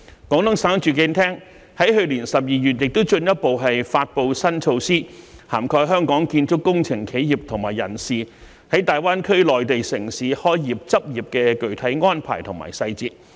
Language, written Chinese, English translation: Cantonese, 廣東省住房和城鄉建設廳亦於去年12月進一步發布新措施，涵蓋香港建築工程企業和人士在大灣區內地城市開業執業的具體安排和細節。, In a further development the Department of Housing and Urban - Rural Development of Guangdong Province promulgated new measures in December last year on the specific arrangements and details for construction engineering companies and personnel of Hong Kong to start businesses and practise in the Mainland cities of the Greater Bay Area